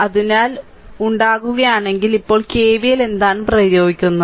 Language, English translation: Malayalam, So, if you make, then now you what you do you apply KVL, right